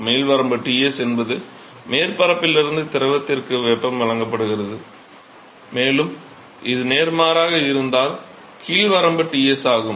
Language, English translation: Tamil, The upper limit is Ts is the heat is being supplied from the surface to the fluid and the lower limit is Ts if it is vice versa